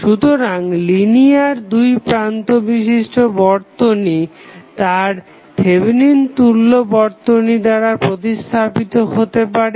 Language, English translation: Bengali, So, linear 2 terminal network can be replaced by its Thevenin equivalent